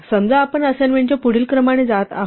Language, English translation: Marathi, Suppose we go through the following sequence of assignments